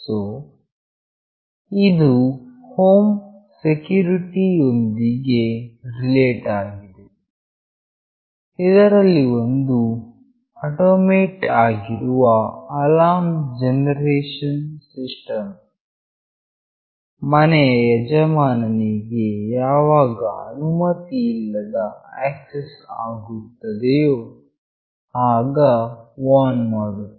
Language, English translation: Kannada, So, this is related to home security where an automated alarm generation system warns the owner of the house whenever an unauthorized access takes place